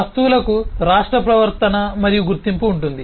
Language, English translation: Telugu, Objects will have state, behavior and identity